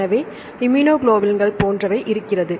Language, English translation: Tamil, So, like immunoglobulins right